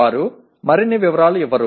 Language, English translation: Telugu, They will not give further details